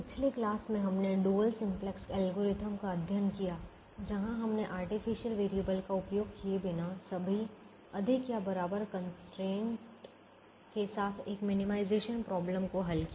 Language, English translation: Hindi, in the last class we studied the dual simplex algorithm where we solved a minimization problem with all greater than or equal to constraints without using artificial variables